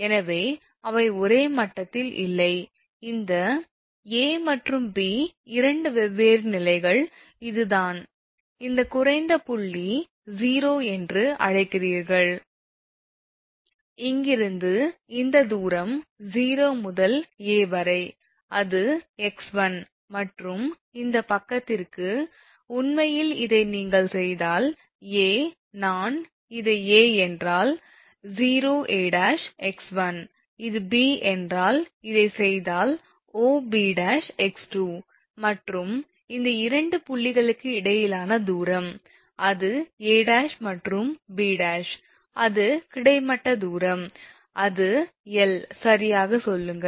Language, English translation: Tamil, So, they are not at the same level, that this A and B two different levels right, and this is the point that your what you call that lowest point O, and from here this distance is from O to A, it is x 1 and this side O to, actually if you make this is A, if I make this is your A dash, then OA dash is x 1, and if this is B, if we make this is B dash then your OB dash is x 2 right, and distance between this two point; that is A dash and B dash, it is horizontal distance it is L say right